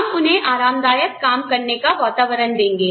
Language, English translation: Hindi, We will give them a comfortable working environment